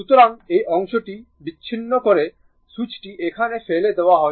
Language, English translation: Bengali, So, this part is isolated switch has been thrown it here